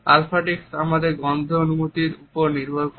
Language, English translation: Bengali, Olfactics is based on our sense of a smell